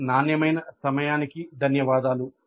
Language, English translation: Telugu, Thank you for your quality time